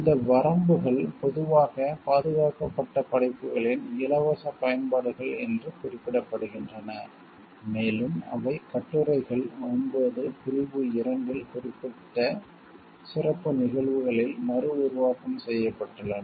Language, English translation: Tamil, These limitations are commonly referred to as free uses of protected works, and are set forth in articles 9 section 2 reproduction in certain special cases